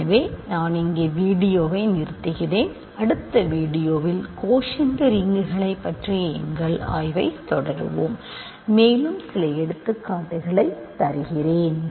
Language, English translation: Tamil, So, I going a stop the video here, in the next video we will continue our study of quotient rings and I will give you a few more examples